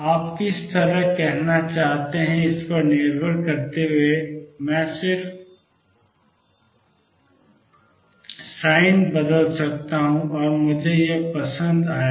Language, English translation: Hindi, Depending on which way do you want to saying so I can just change the sin and I would like this